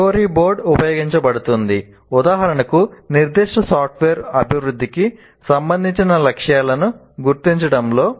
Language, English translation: Telugu, So, story board is used, for example, in software development as part of identifying the specifications for a particular software